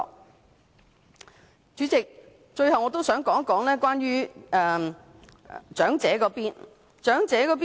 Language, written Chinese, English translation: Cantonese, 代理主席，最後我想談談長者方面。, Deputy President lastly I would like to say a few words about the elderly